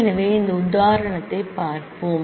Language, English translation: Tamil, So, let us look at this example